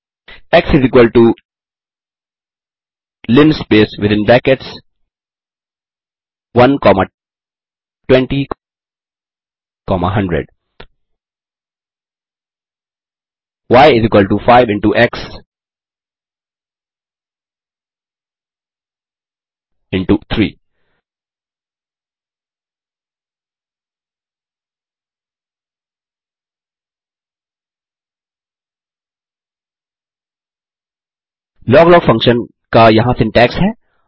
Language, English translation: Hindi, x = linspace within brackets 1 comma 20 comma 100 y = 5 into x into 3 Here is the syntax of the log log function